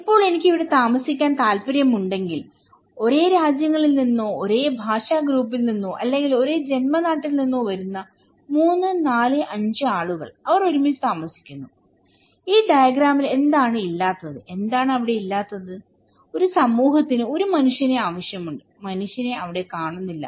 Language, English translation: Malayalam, Now, if I want to live there, okay and what is missing here like 3, 4, 5 people coming from same nations or same linguistic group or maybe same hometown, they are living together, what is missing there in this diagram, what is not there; that a society needs a human being are missing, human beings are missing